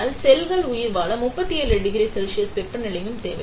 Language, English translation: Tamil, But then for cells to survive, they also need 37 degree Celsius temperature